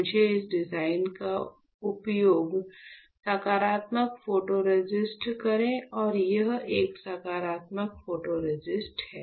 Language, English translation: Hindi, So, let me use this design for positive photoresist and this is a positive photoresist